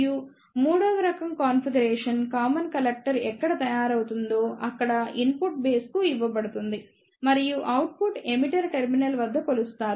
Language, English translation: Telugu, And the third type of configuration will be where the common collector will be made and the input will be given to the base and the output will be measured at the emitter terminal